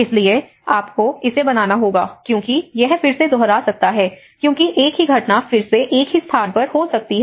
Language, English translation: Hindi, So, there is you have to create that because this might repeat again because the same incident might occur again and again at the same place